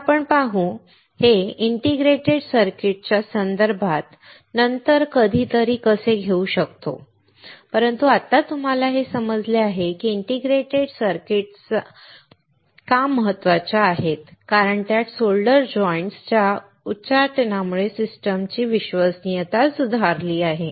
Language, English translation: Marathi, So, we will see; how we can take this into context of integrated circuit sometime later, but right now you understand that why the integrated circuits are important, because it has improved system reliability to due to the elimination of solder joints